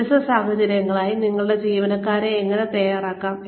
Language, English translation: Malayalam, How do we ready our employees for different situations